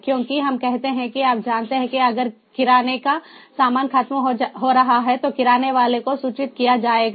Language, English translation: Hindi, because, let us say that you know, if i have run out of the groceries, the grocer is going to be informed, so that will make it more efficient